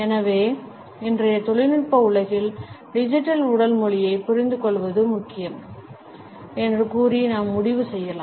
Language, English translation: Tamil, So, we can conclude by saying that in today’s technological world, the understanding of Digital Body Language is important